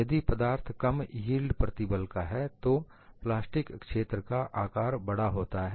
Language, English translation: Hindi, If the material is of low yield stress, the size of the plastic zone is large